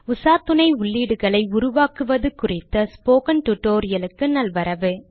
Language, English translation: Tamil, Welcome to a tutorial on creating bibliography entries